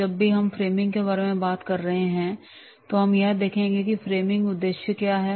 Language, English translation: Hindi, Whenever we are talking about the framing, what are the objectives of the framing